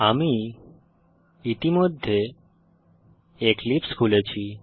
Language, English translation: Bengali, I have already opened Eclipse